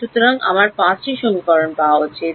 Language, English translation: Bengali, So, I should get 5 equations